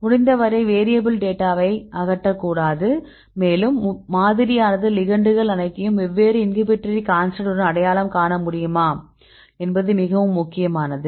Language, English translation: Tamil, We should not a remove the variable once you know to keep as much as possible the variables data, and whether our model could identify all these a ligands with different inhibitory constant right that is very important